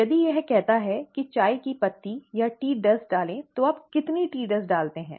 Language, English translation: Hindi, If it says add tea leaves or tea dust, how much tea dust do you add